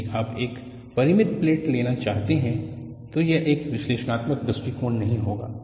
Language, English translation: Hindi, If you want to go for a finite plate, analytical approach will not do